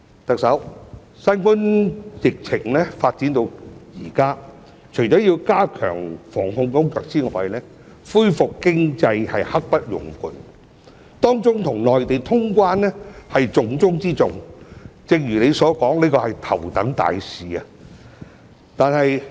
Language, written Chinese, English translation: Cantonese, 特首，新冠疫情發展至現在，除要加強防控工作外，恢復經濟是刻不容緩，當中與內地通關是重中之重，正如你所說，這是頭等大事。, Chief Executive since the outbreak of the COVID - 19 pandemic apart from stepping up the anti - epidemic work restoring the economy is a matter of great urgency with the resumption of quarantine - free travel between Hong Kong and the Mainland being the most important thing . As you have said this is the top priority